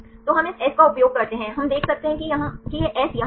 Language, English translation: Hindi, So, we use this s right we can see this is the S here